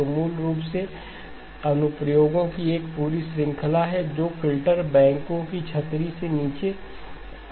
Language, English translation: Hindi, So basically there is a whole range of applications that come under the umbrella of the filter banks